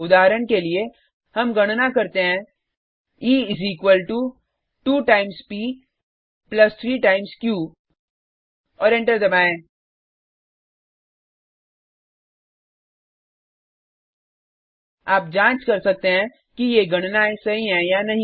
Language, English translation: Hindi, For example, let us calculate E is equal to 2 times p plus 3 times q and press enter: You may want to verify whether these calculations are correct